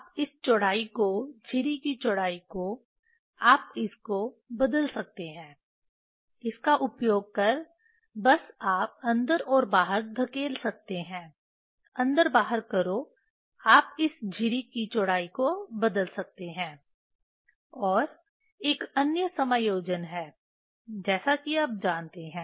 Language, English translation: Hindi, you can this width slit width, you can change using this just you can push in and out; push in and out, you can change the width of this slit and another adjustment is there is a like this you know